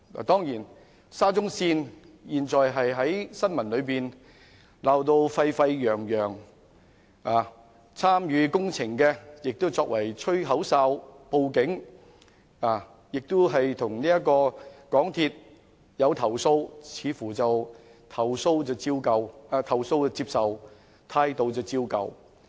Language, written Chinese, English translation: Cantonese, 當然，沙中線的新聞現時鬧得沸沸揚揚，參與工程的人亦作了"吹口哨"及報案者，向香港鐵路有限公司投訴，但似乎"投訴接受，態度照舊"。, Certainly the news about the Shatin to Central Link SCL has given rise to much discussion and people who are involved in the project have become whistle - blowers or have reported to the Police . In the face of complaints the MTR Corporation Limited MTRCL seems to have accepted such complaints but its attitude remains the same